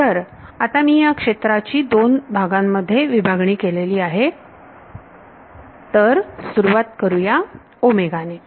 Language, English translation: Marathi, So, now that I have broken up this domain into 2 parts ok, let us start with omega